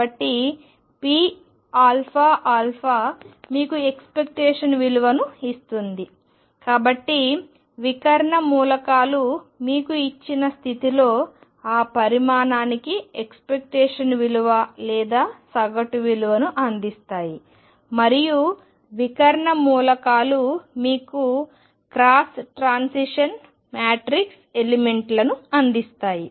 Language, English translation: Telugu, So, p alpha alpha gives you the expectation the; so, diagonal elements give you the expectation value or the average value for that quantity in a given state and of diagonal elements give you cross transition matrix elements